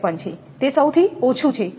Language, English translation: Gujarati, 53, it is a lowest one